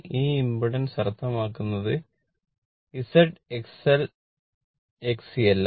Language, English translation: Malayalam, This impedance means Z, X L, X C everything right